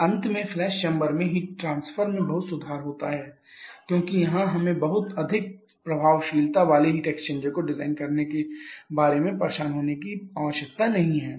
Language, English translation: Hindi, And finally the heat transfer is much improved in the flash chamber because here we do not need to bother about designing a heat exchanger with very high effectiveness